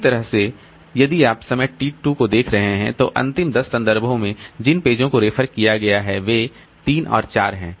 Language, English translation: Hindi, Similarly, if you are looking at time T2, then over the last 10 references, the pages that are referred to are 3 and 4